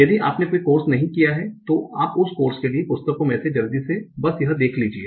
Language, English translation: Hindi, If you haven't taken a course, that course, you might just want to quickly see that in one of the books for that course